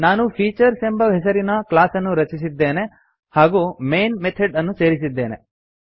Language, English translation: Kannada, I have created a class named Features and added the main method